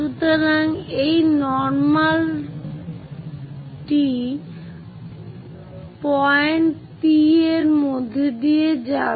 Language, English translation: Bengali, So, this is a normal passing through point P